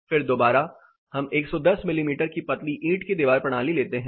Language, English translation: Hindi, Then again we take a 110 mm thin brick wall system